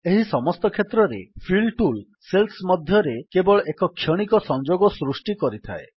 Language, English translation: Odia, In all these cases, the Fill tool creates only a momentary connection between the cells